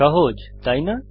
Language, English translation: Bengali, Easy isnt it